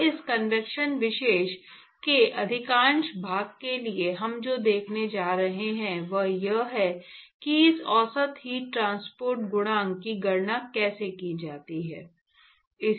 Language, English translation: Hindi, And what we are going to see for most part of this convection topic is how to calculate this average heat transport coefficient